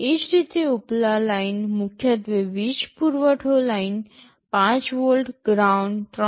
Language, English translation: Gujarati, Similarly, the upper lines are primarily power supply lines, 5 volt, ground, 3